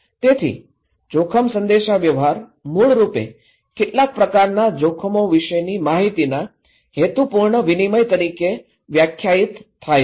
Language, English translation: Gujarati, So risk communication basically, primarily defined as purposeful exchange of information about some kind of risk